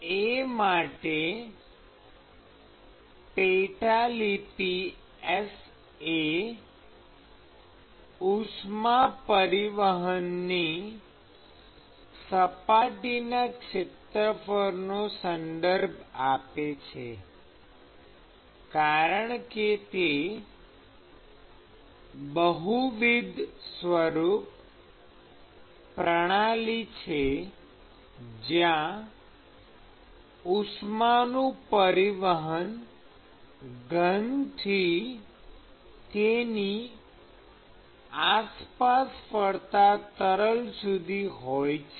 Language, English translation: Gujarati, So, if I put a subscript s, it is basically the surface area of heat transport because it is multi phase system where the heat transport is from the solid to the fluid which is circulating around